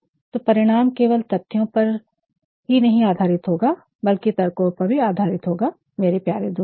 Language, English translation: Hindi, So, the findings will be based not only on fact, but also on logic my dear friend